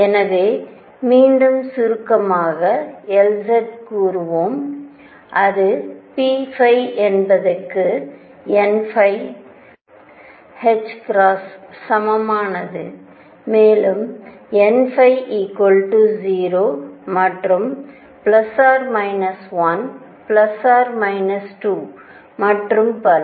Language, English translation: Tamil, So, let us just again summarize L z which is p phi is equal to n phi h cross, and n phi is 0 and plus minus 1 plus minus 2 and so on